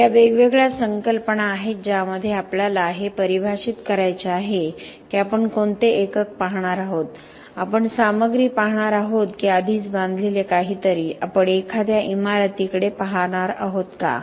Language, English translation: Marathi, So this are different concepts which come in we have to define what is the unit that we are going to look at, are we going to look at the material or something that is already constructed, are we going to look at a building